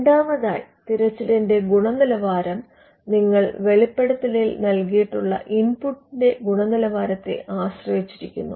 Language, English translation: Malayalam, Secondly, the quality of a search depends on the quality of the input in the form of a disclosure that has been given